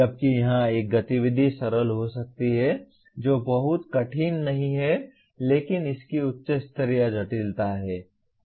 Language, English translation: Hindi, Whereas an activity here may be simple not that very difficult but it has a higher level complexity